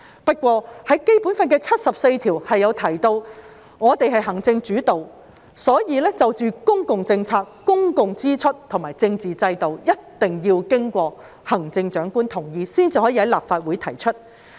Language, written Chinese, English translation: Cantonese, 不過，《基本法》第七十四條提到行政主導，所以涉及公共政策、公共支出及政治體制的法律草案，一定要經過行政長官同意才可在立法會提出。, However Article 74 of the Basic Law mentions an executive - led system under which Bills relating to public policy public expenditure and political structure require the consent of the Chief Executive before they are introduced to the Legislative Council